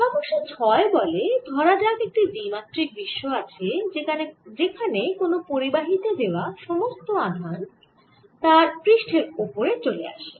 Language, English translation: Bengali, the six problem says: suppose there is two dimensional world where it is seen that all charge put on the conductor comes with surface